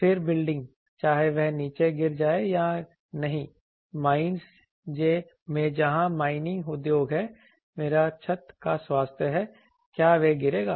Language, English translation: Hindi, Then building whether that is will fall down or not in mines where the mining industry, mine roof health whether it is or it will fall